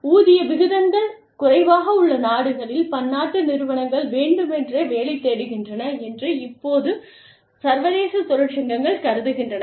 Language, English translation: Tamil, Now, the unions, the international unions feel, that multi national enterprises, deliberately look for work in countries, where the wage rates are low